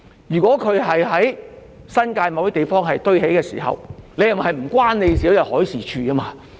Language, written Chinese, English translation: Cantonese, 如果貨櫃在新界某些地方堆疊，是否與海事處無關？, As for containers stacked somewhere in the New Territories do they have nothing to do with the Marine Department?